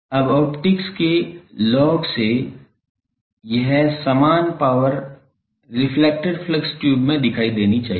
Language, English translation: Hindi, Now, this same power from the log of optics the same power must appear in the reflected flux tube